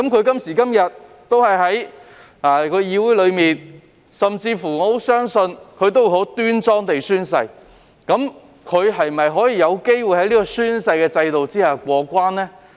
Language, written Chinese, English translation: Cantonese, 今時今日他們依然在議會內，我甚至乎相信他們會很端莊地宣誓，但他們是否有機會在這個宣誓制度下過關呢？, Today they are still in the Council and I have reasons to believe they will take oath solemnly . Is there a chance for them to muddle through under this oath - taking system?